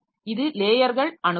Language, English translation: Tamil, So, this is the layered approach